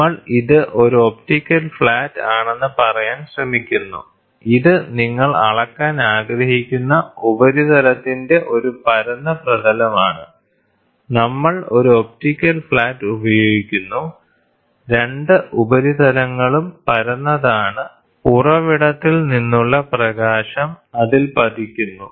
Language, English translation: Malayalam, So, what we are trying to say is, we are trying to say this is an optical flat, this is a flat surface you want to measure the flatness of the surface, we use an optical flat, both the surfaces are flat at the light from the source falls on it